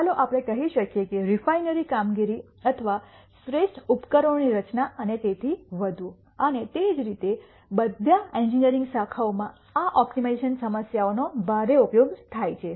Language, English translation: Gujarati, Let us say refinery operations or designing optimal equipment and so on, and similarly in all engineering disciplines these optimization problems are used quite heavily